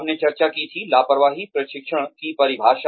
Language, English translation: Hindi, We had discussed, the definition of negligent training